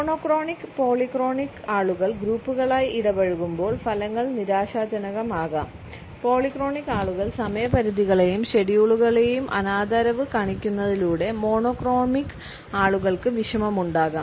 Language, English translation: Malayalam, When monochronic and polyphonic people interact in groups the results can be frustrating, monochromic people can become distressed by how polyphonic people seem to disrespect deadlines and schedules